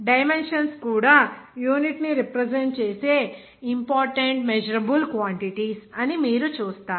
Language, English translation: Telugu, And you will see that dimensions also are one of the important measurable quantities that the unit represents